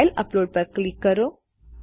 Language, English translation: Gujarati, Click file upload